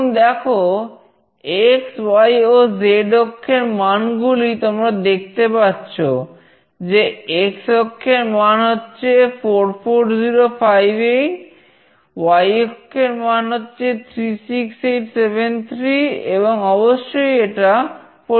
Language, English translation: Bengali, So now, see the x, y and z axis values, you can see the x axis value is 44058, the y axis is 36873 and of course, it varies